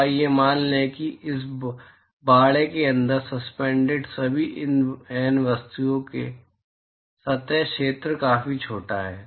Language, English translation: Hindi, So, let us assume that the surface area of all the N objects which are suspended inside this enclosure is significantly smaller